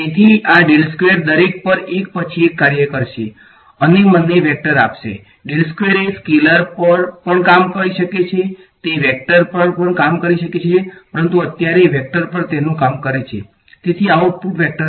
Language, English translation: Gujarati, So, del squared will act on each of these guys one by one and give me a vector ok, del squared can act on the scalar it can act on a vector, but right now its acting on the vector so output will be a vector